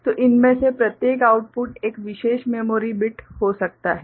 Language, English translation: Hindi, So, each of these output can be a particular memory bit